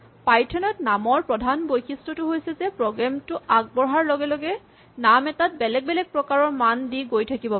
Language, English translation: Assamese, So, the name main feature of python is that a name can be assigned values of different types as the program evolves